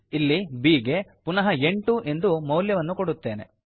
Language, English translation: Kannada, Suppose here I will reassign a new value to b as 8